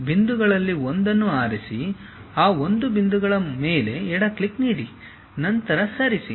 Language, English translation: Kannada, Give a left click on that one of the point, then move